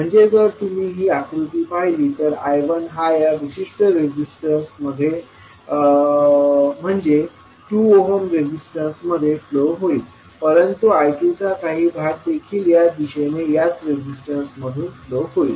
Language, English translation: Marathi, So, if you see this figure I 1 will be flowing in this particular resistance that is 2 ohm resistance but one leg of I 2 will also be flowing through this